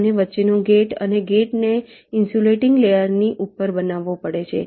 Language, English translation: Gujarati, in between and gate has to be fabricated on top of a insulating layer